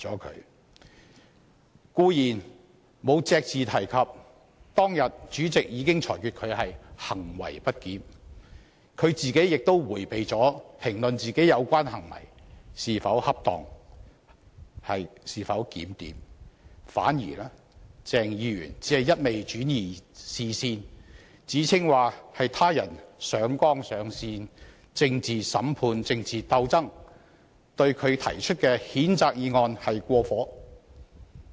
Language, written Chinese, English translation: Cantonese, 他固然隻字不提當天主席裁決他行為不檢，亦迴避評論自己的有關行為是否恰當和檢點，反而不住轉移視線，指稱他人上綱上線、政治審判、政治鬥爭，對他提出讉責議案是過火。, He certainly made no mention of the ruling of the President that his acts were misbehaviour that day and avoided commenting on whether his acts in question were proper and decent . Instead he kept diverting attention alleging that others were escalating the matter to the political plane to subject him to a political trial and initiate a political struggle and that the censure motion proposed against him had gone overboard